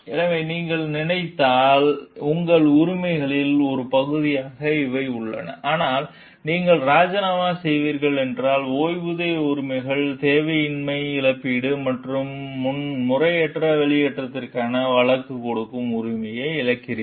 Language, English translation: Tamil, So, if you remain, so these are the things that which are there as a part of your rights; but if you are resigning, you lose pension rights, unemployment compensation, and right to sue for improper discharge